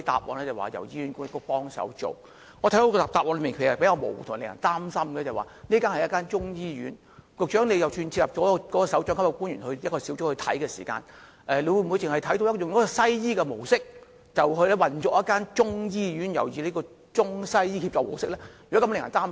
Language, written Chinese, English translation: Cantonese, 我認為這個答案比較模糊且令人擔心，這是一間中醫醫院，即使如局長所說會開設一個專責組別來管理，但是會否以西醫的模式來運作一間採用中西醫協作模式的中醫醫院，這方面實在令人擔心。, This reply is rather vague and worrying . This is a Chinese medicine hospital and even if it is to be managed by a dedicated unit as mentioned by the Secretary we are still worried that this ICWM Chinese medicine hospital may be run as a Western medicine hospital